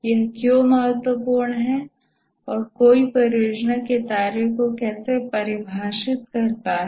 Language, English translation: Hindi, Why is it important and how does one define the project scope